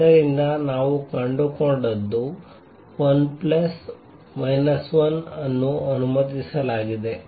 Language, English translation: Kannada, So, what we found is l plus minus 1 is allowed